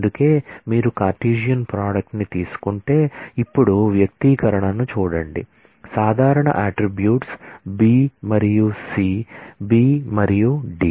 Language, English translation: Telugu, That is why, so you take the Cartesian product now look at the expression the attributes common attributes are B and C B and D